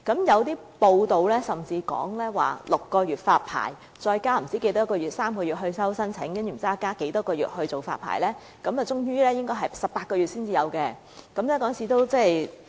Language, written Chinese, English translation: Cantonese, 有報道甚至指出 ，6 個月成立發牌委員會，加上3個月接收申請書，再加上不知多少個月審批發牌，最終應該要18個月後才會再有龕位發售。, According to some reports it will take six months to establish the Licensing Board to be followed by three months for the Board to receive applications and then God knows how many months for the vetting and approval of applications . Hence niches are only available for sale at least 18 months later